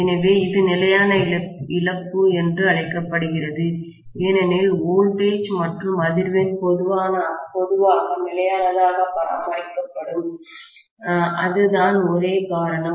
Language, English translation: Tamil, So, it is called as constant loss because voltage and frequency will be normally maintained as constant, that is the only reason, right